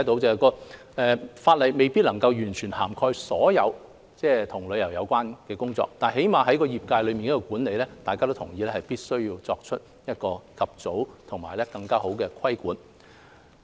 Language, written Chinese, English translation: Cantonese, 儘管法例未必能夠涵蓋所有與旅遊有關的工作，但至少在業界管理方面，大家都同意必須及早作出更好的規管。, Although the new legislation may not cover all travel - related work Members agree that at least in terms of management we must promptly make regulatory improvements